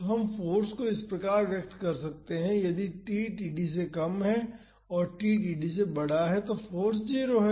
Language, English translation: Hindi, So, we can express the force as this, the force is equal to p naught if t is less than td and the force is 0 if t is greater than td